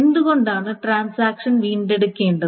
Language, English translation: Malayalam, So why do a transaction needs to recover